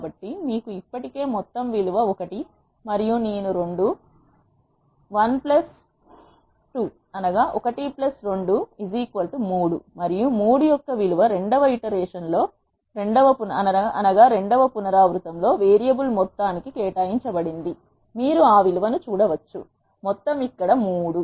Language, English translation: Telugu, So, you have already sum value as one and i is 2, 1 plus 2 is 3 and the value of 3 is assigned to the variable sum in the second iteration, you can see that value of the sum is 3 here and so on